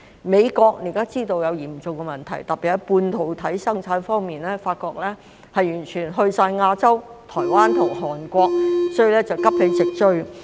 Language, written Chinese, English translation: Cantonese, 美國現時知道出現了嚴重的問題，特別是發覺半導體生產已完全遷移到亞洲的台灣及韓國，所以要急起直追。, The United States is now aware that a serious problem has emerged especially since it found that semiconductor production has entirely relocated to Taiwan and Korea in Asia . So it has to rouse itself to catch up